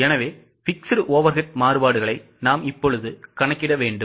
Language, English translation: Tamil, So, we will have to compute the fixed overhead variances